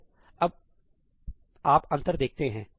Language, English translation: Hindi, So, you see the difference now